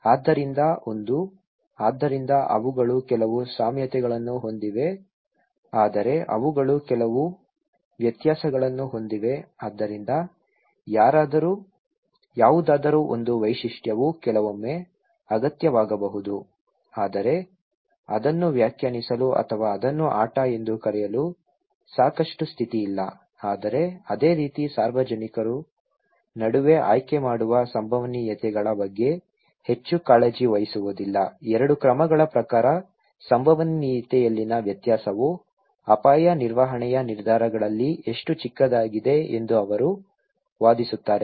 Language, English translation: Kannada, So one; so they have some similarities but they have also some differences so, one single feature of anything is maybe sometimes necessary but not sufficient condition to define or to call it as game, okay but similarly the public does not care much about the probabilities in choosing between two course of action, he is arguing when the difference in probability are as small as they are in most of the risk management decisions